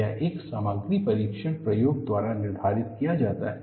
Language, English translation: Hindi, That is determined by a material testing experiment